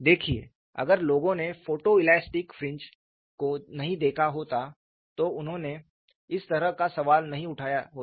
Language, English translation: Hindi, See if people have not looked at photo elastic fringes, they would not have raised a question like this